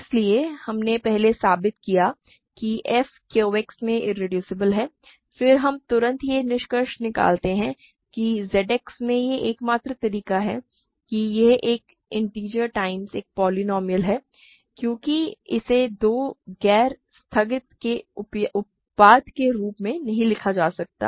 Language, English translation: Hindi, So, we first proved that f is irreducible in Q X, then we immediately conclude that the only way that it is a not irreducible in Z X is that it is an integer times a polynomial because it cannot be written as a product of two non constant polynomials that is clear